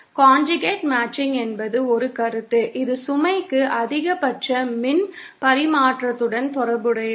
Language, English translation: Tamil, The conjugate matching is a concept where it relates to the maximum power transfer to the load